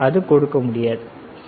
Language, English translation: Tamil, It cannot give, right